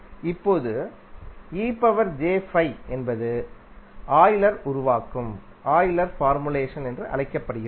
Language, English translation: Tamil, That is called Euler formulation